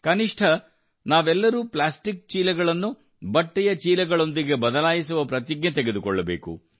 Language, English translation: Kannada, At least we all should take a pledge to replace plastic bags with cloth bags